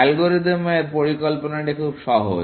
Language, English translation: Bengali, The algorithm idea is very simple